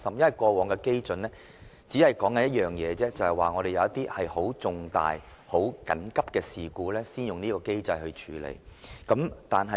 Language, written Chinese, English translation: Cantonese, 以往的例子只說明一點，便是事情重大而緊急，才會動用這機制處理。, Instances in the past only point to the fact that such a mechanism is employed only for matters of enormous import and urgency